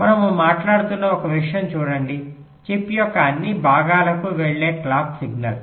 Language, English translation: Telugu, see one thing: we are talking about the clock signal which is going to all parts of the chip